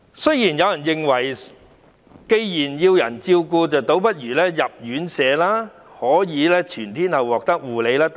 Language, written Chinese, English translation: Cantonese, 雖然有人認為，既然長者要人照顧便倒不如入住院舍，可以全天候獲得護理。, There are views that since elderly persons need to be taken care of they may as well be admitted to residential care homes to receive round - the - clock nursing care